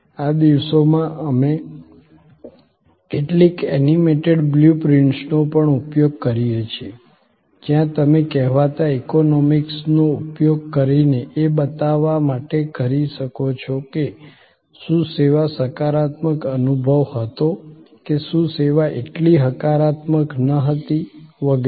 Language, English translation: Gujarati, These days, we also use some animated blue prints, where you can use the so called emoticons to show that, whether the service was the positive experience or whether the service was not so positive and so on